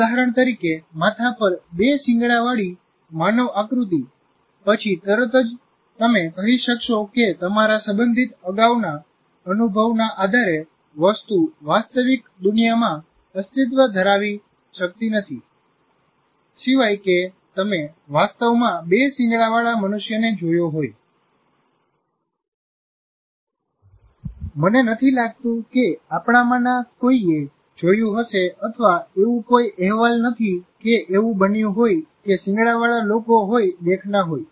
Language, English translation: Gujarati, Then immediately you will be able to say that that object cannot exist in real world based on your related prior experience unless you have actually seen a human being with two horns, which I don't think any of us, at least there is no report that has happened that either are people with haunts